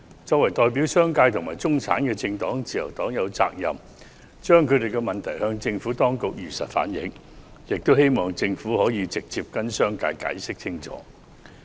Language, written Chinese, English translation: Cantonese, 作為代表商界和中產的政黨，自由黨有責任向政府當局如實反映當中的問題，並希望政府可以直接向商界解釋清楚。, As the political party representing the business sector and the middle class the Liberal Party is obliged to truthfully reflect the problems therein to the Administration and hopes that the Government can clearly explain to the business sector direct